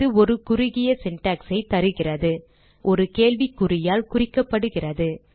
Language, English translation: Tamil, It Provides a short syntax and is denoted by a question mark